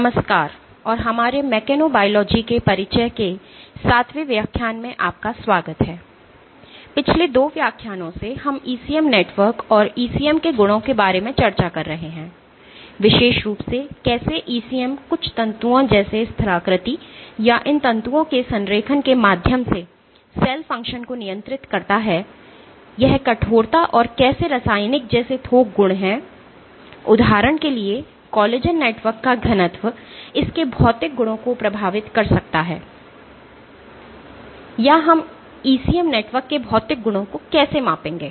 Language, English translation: Hindi, Over the last 2 lectures we have been discussing about properties of ECM networks and the ECM, in particular how ECM regulates cell function through the some of the cues like topography or alignment of these fibers, it is bulk properties like stiffness and how chemical So, for example, density of collagen networks can influence its physical properties, or how do we will measure physical properties of ECM networks